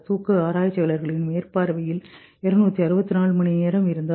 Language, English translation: Tamil, 264 hours in the supervision of sleep researchers